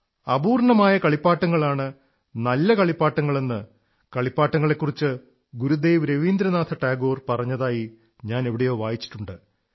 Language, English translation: Malayalam, I read somewhere what Gurudev Rabindranath Tagore had said about toys, the best toy is that which is incomplete; a toy that children together complete while playing